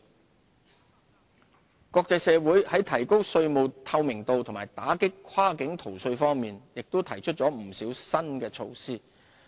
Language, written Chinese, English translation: Cantonese, 稅務合作國際社會在提高稅務透明度及打擊跨境逃稅方面亦提出了不少新措施。, The international community has proposed a number of new initiatives to enhance tax transparency and combat cross - border tax evasion